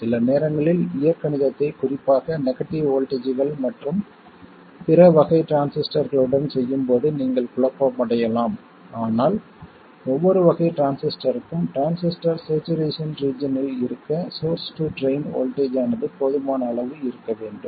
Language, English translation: Tamil, Sometimes while doing algebra especially with negative voltages and other types of transistors you could get confused but for every type of transistor there has to be a sufficiently large train to source voltage in order to have the transistor and saturation region